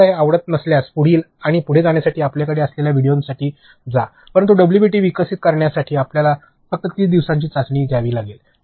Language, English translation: Marathi, If you do not like it, move to the next and for the videos you have lots to take, but for developing WBT’s you can just have to go through a 30 day trial